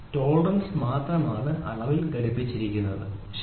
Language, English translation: Malayalam, It is only the tolerance which is attached to the dimension, ok